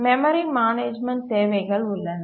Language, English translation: Tamil, There are requirements on memory management